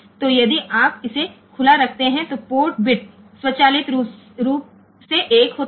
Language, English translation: Hindi, So, you if you keep it open then the bit port bit is automatically 1